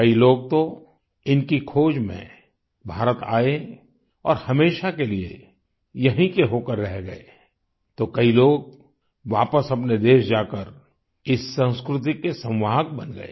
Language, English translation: Hindi, Many people came to India to discover & study them & stayed back for ever, whereas some of them returned to their respective countries as carriers of this culture